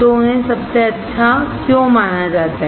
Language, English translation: Hindi, So, why they are considered best